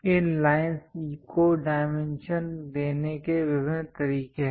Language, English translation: Hindi, There are different ways of dimensioning these lines